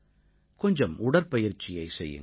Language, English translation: Tamil, Do some exercises or play a little